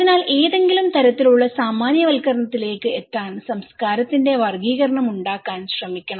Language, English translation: Malayalam, So, in order to reach to some kind of generalizations, we should try to make categorizations of culture, okay